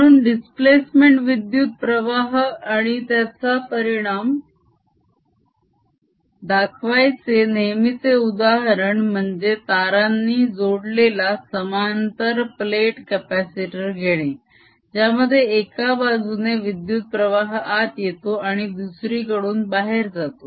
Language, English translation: Marathi, so the often done example of this to show displacement current and its effect is taking a parallel plate capacitor connected to a wire that is bringing in current i as its going out